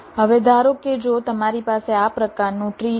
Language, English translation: Gujarati, suppose if i have a tree like this